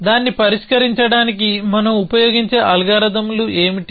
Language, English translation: Telugu, What are the algorithms at we use for solving it